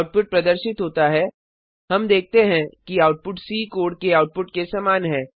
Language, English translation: Hindi, The output is displayed: We see that the output is same as the one in C program